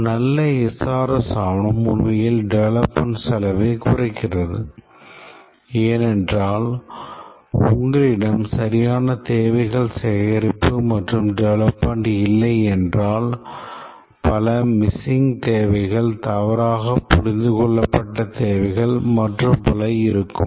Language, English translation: Tamil, A good SRS document actually reduces development cost because if we don't have proper requirements gathering and development starts there will be many missing requirements, incorrectly understood requirements and so on, and these will be expensive to fix later